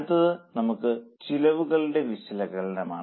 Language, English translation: Malayalam, Next is analysis of costs